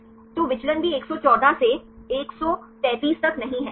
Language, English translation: Hindi, So, the deviation is also not much right 114 to 133